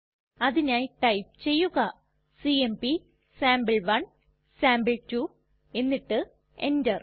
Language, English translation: Malayalam, We will write cmp space sample1 space sample2 and press enter